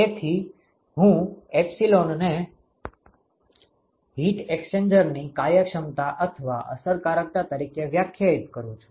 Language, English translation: Gujarati, So, I define epsilon as the efficiency or the effectiveness of the heat exchanger ok